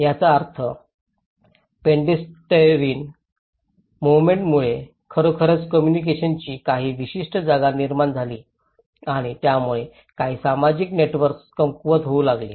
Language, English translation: Marathi, Which means the pedestrian movement have actually created certain communication gap and also it started weakening some social networks